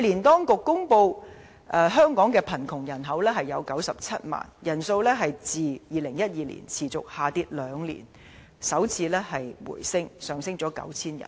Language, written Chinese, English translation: Cantonese, 當局去年公布香港的貧窮人口是97萬，人數自2012年持續下跌兩年後首次回升，上升 9,000 人。, According to figures published by the authorities last year poverty population in Hong Kong stood at 970 000 rising by 9 000 an increase for the first time since 2012 after trending down for two years consecutively